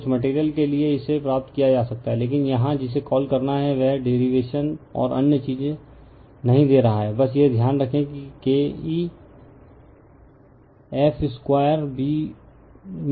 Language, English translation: Hindi, For some material, it can be derived, but here this is your what to call we are not giving that derivation and other thing, just you keep it in your mind that K e is the f square B max square into V watt